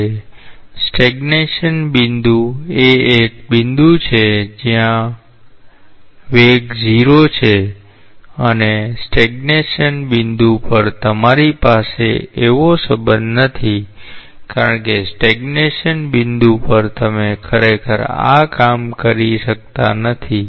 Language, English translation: Gujarati, So, stagnation point is a point where v is 0 and at the stagnation point, you do not have such a relationship because at a stagnation point you cannot really work out these